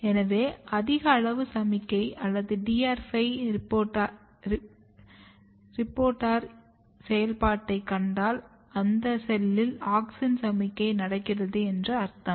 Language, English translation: Tamil, So, if you see high amount of signal or if you see high amount of reporter activity; DR5 reporter activity which means that, that is the cell where there is a auxin signalling going on